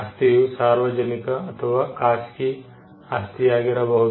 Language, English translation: Kannada, Property can be either public property or private property